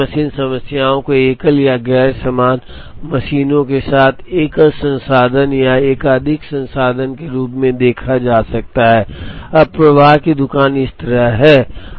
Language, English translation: Hindi, So, single machine problems can be seen either as the single resource or as a multiple resource with identical and non identical machines, now flow shop is like this